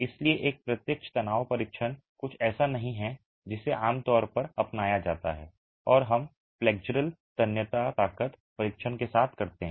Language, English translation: Hindi, Hence a direct tension test is not something that is usually adopted and we make do with the flexual tensile strength test